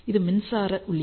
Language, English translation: Tamil, And this is the power supply input